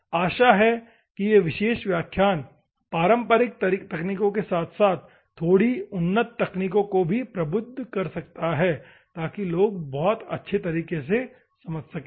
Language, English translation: Hindi, Hope, this particular class might enlighten the conventional things, as well as slightly advanced things, so that the people can understand in a great way